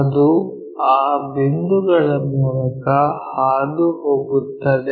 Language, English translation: Kannada, It pass through that point